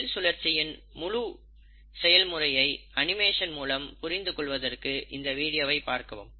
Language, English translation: Tamil, And if you really want to visualize the whole process of cell cycle in an animation, I will recommend you to go through this video